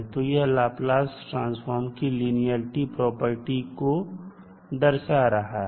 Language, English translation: Hindi, So this will be showing the linearity property of the Laplace transform